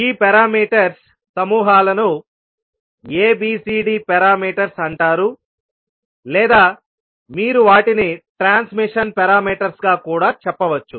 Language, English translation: Telugu, And these sets of parameters are known as ABCD parameters or you can also say them as transmission parameters